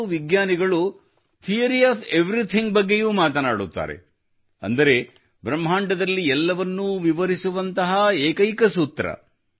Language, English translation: Kannada, Now scientists also discuss Theory of Everything, that is, a single formula that can express everything in the universe